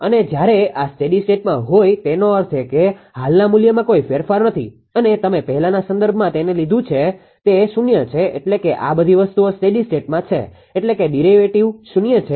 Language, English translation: Gujarati, And when this is to a steady state; that means, there is no change in the current value and the previous dependence you take it will be 0 said means all these things it is in steady state means the derivative is 0, right